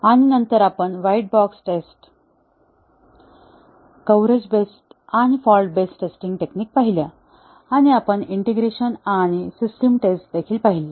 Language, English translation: Marathi, And later, we looked at white box testing, the coverage based and fault based testing techniques; and we also looked at integration and system testing